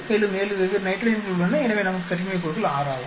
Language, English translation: Tamil, So 7 different nitrogens so we have degrees of a freedom is 6